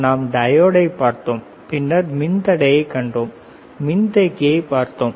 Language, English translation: Tamil, We have seen diode then we have seen resistor, we have seen resistor we have seen capacitor we have seen bigger capacitor